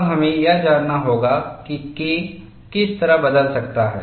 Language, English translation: Hindi, Now, what we will have to know is what way K can change